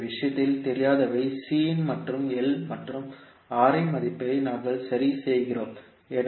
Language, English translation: Tamil, So in this case the unknowns were C and L and we fix the value of R